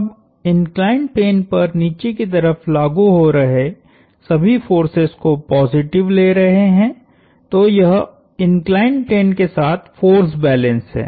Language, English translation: Hindi, Now, taking all the forces down the inclined plane positive, so this is force balance along the inclined plane